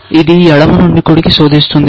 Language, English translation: Telugu, It searches from left to right